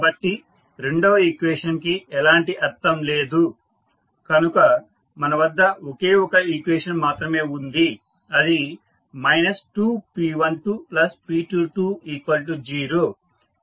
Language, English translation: Telugu, So, the second equation does not have any meaning, so we are left with only one equation that is minus P 12 plus P 22 equal to 0